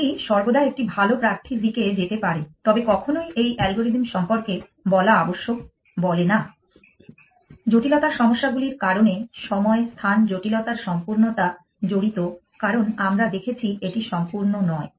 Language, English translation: Bengali, It could always move to a better candidate, but never does says must to be said about this algorithm why because of the complexity issues involved time space complexity completeness as we have just observed it is not complete